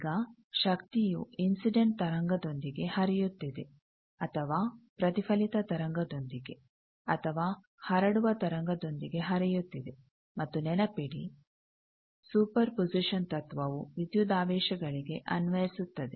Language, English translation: Kannada, Now, power is either flowing with the incident wave, or flowing with the reflected wave, or flowing with the transmitted wave and remember, that super position principle applies for voltages